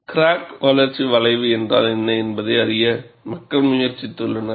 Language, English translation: Tamil, People have attempted to get what are known as crack growth curve